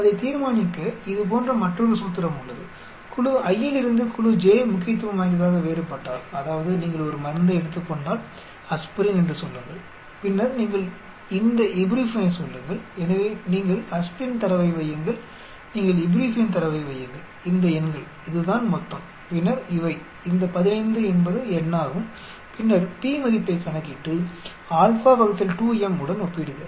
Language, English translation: Tamil, To determine that, there is another formula like this, if group i is significantly different from group j that means, if you take one drug say aspirin and then you call this ibuprofen so you put in the aspirin data, you put in the ibuprofen data these number this is total and then these the 15 is the number and then compute p value and compare to where, m is the number of possible pair wise comparison that is m is given by